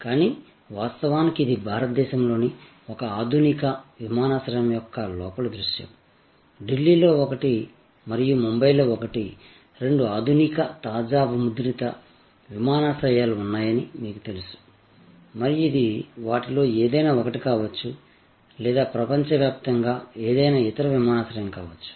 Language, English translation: Telugu, But, in reality, this is the interior view of one of the modern airports of India, as you know there are two modern fresh minted airports at one in Delhi and one in Mumbai and this could be an interior sort of any one of those or any other airport for that matter across the world